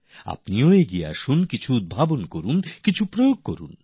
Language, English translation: Bengali, Step forward innovate some; implement some